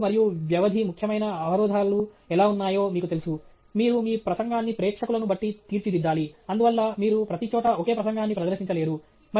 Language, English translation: Telugu, We discussed, you know, how audience and duration are important constraints; that you have to tailor your to talk the audience, and therefore, you cannot simply present the same talk everywhere